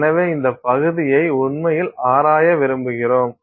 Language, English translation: Tamil, So, we want to actually explore this area, right